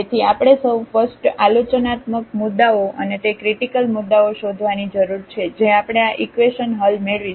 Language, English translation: Gujarati, So, we need to find first all the critical points and those critical points we will get by solving these equations